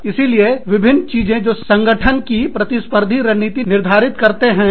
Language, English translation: Hindi, So, various things, that determine, the competitive strategy of a firm